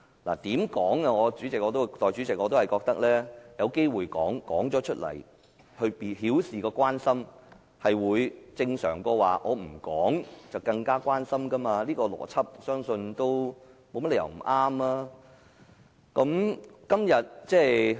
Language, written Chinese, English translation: Cantonese, 無論如何，代理主席，我覺得把握機會表達意見，以表示關心，總比不表達意見好，我相信這個邏輯沒有甚麼不對。, In any case Deputy President I think it is better to seize the opportunity to express our views to show our concern than not to express our views . I believe there is nothing wrong with this logic